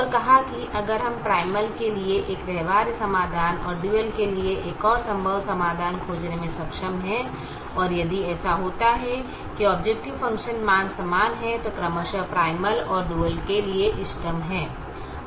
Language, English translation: Hindi, it says: if i am able to find a feasible solution to the primal and to the dual and the objective function values are equal, then they are optimal